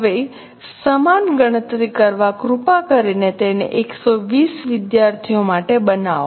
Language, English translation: Gujarati, Now same calculation please make it for 120 students